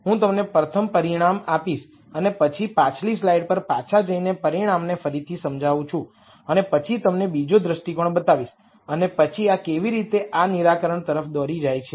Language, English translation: Gujarati, I will first give you the result and then explain the result again by going back to the previous slide and then showing you another viewpoint and then how that leads to this solution